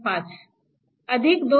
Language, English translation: Marathi, 5 plus 2